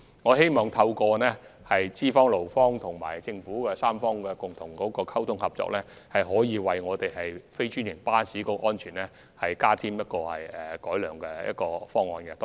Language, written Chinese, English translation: Cantonese, 我希望透過資方、勞方及政府3方面共同溝通合作，為非專營巴士的安全提出改善方案。, I hope to come up with some recommendations on improving the safety of non - franchised buses through communication and cooperation among the three sides concerned namely employers employees and the Government